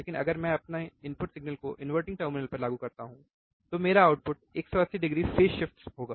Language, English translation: Hindi, But if I apply my input signal to the inverting terminal, my output would be 180 degree phase shift